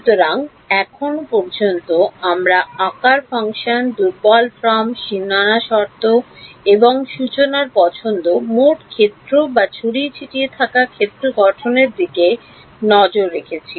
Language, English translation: Bengali, So, so far we have looked at shape functions, weak form, boundary conditions and choice of formulation total field or scattered field formulation